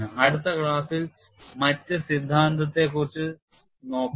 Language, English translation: Malayalam, We look at the other theory in the next class